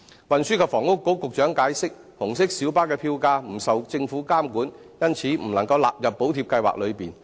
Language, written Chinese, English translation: Cantonese, 運輸及房屋局局長解釋，紅色小巴的票價不受政府監管，因此未能納入補貼計劃內。, As explained by the Secretary for Transport and Housing since the fares of red minibuses are not subject to government regulation they cannot be covered by the Subsidy Scheme